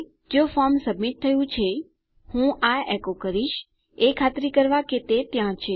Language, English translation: Gujarati, If the form has been submitted, I am going to echo this out, to make sure it is there